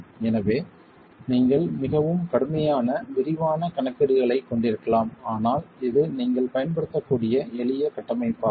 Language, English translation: Tamil, So, you can have more rigorous, more detailed calculations, but this is a simple framework that you could use